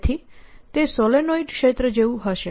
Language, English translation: Gujarati, so this becomes like a solenoid